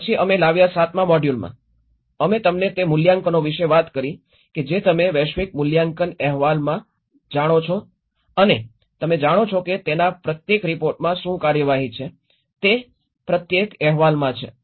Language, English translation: Gujarati, Then in the seventh module we brought about, we talked about the assessments you know the global assessment reports and you know what are the procedures one has to look at it, each report have